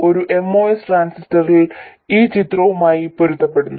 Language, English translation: Malayalam, So a MOS transistor does in fact fit the bill